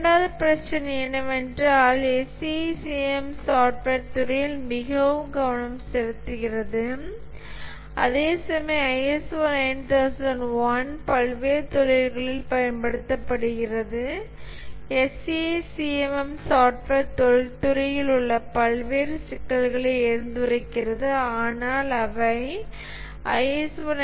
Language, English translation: Tamil, The second issue is that the SEI CM is very focused on the software industry, whereas the ISO 901 is used across various industries and therefore the SEI CM addresses many issues which are specific to the software industry which are not really taken care by the ISO 9,001